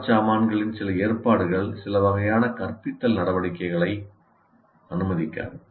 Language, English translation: Tamil, And some arrangements of the furniture do not permit certain types of instructional activities